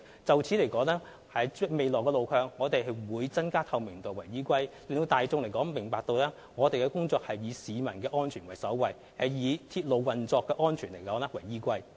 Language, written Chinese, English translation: Cantonese, 就未來路向，我們會以增加透明度為依歸，讓大眾明白，我們的工作是以市民的安全為首位，並以鐵路運作的安全為依歸。, In the future we will strive to enhance transparency to assure the public that we accord top priority to the safety of people and that safety of railway operation always comes first